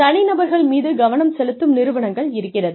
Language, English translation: Tamil, There are organizations, that focus on individuals